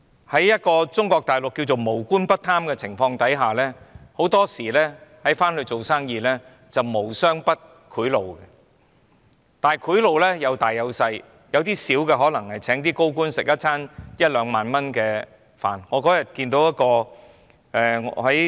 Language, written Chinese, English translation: Cantonese, 所以，在中國大陸稱為"無官不貪"的情況下，很多時到內地做生意是"無商不賄賂"，但賄賂有大也有小，有些小的可能只是用一兩萬元來請高官吃一頓飯。, Therefore under the situation of not a single official is not corrupt in Mainland China when doing business on the Mainland not a single businessman will not offer bribes . But the bribes can be of different scales and a minor bribe can be in the form of 10,000 to 20,000 to treat some high - ranking officials to a meal